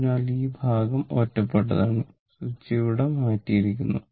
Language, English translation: Malayalam, So, this part is isolated switch has been thrown it here